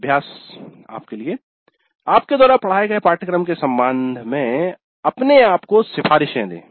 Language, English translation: Hindi, Exercise give recommendations to yourself with regard to a course you taught